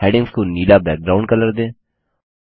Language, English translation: Hindi, Give the background color to the headings as blue